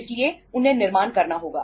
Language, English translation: Hindi, So they have to manufacture